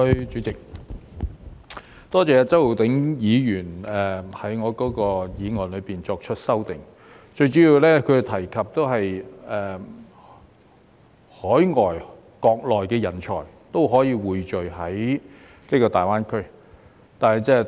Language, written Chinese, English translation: Cantonese, 主席，多謝周浩鼎議員就我的議案作出修訂，他最主要是提及匯聚海外和國內的人才在大灣區。, President I would like to thank Mr Holden CHOW for amending my motion . His amendment is mainly about attracting talents from overseas and the Mainland to the Greater Bay Area GBA